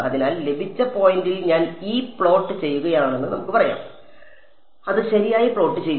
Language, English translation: Malayalam, So, let us say I am plotting E at received point keep plotting it right